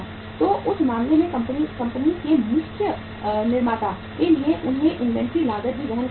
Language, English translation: Hindi, So in that case the company the main manufacturer they will have to bear the inventory cost also